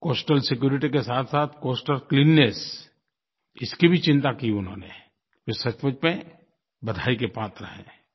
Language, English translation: Hindi, Along with coastal security, they displayed concern towards coastal cleanliness and deserve accolades for their act